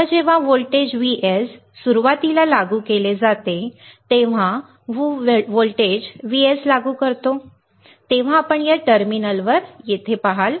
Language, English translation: Marathi, Now when a voltage Vs is initially applied when we apply the voltage Vs, you see here across this terminal